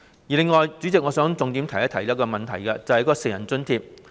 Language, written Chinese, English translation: Cantonese, 此外，代理主席，我想重點提出一個問題，就是成人津貼。, In addition Deputy President I wish to raise one issue in particular that is the grants for adults